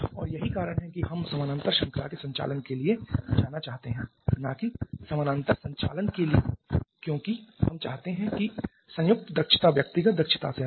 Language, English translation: Hindi, And that is the reason we want to go for parallel series operation and not parallel operation because we want to have the combined efficiency to be higher than the individual efficiencies